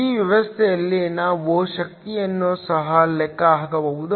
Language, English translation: Kannada, We can also calculate the power in this system